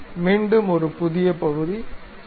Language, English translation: Tamil, So, again new part, ok